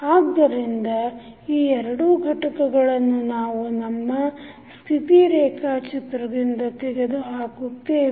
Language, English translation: Kannada, So, that is why we remove these two components from our state diagram